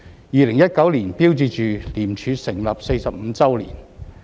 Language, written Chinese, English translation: Cantonese, 2019年標誌着廉署成立45周年。, The year 2019 marked the 45 year of the establishment of ICAC